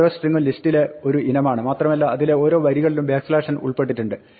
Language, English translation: Malayalam, Each string is one item in the list and remember again each of these lines has the backslash n included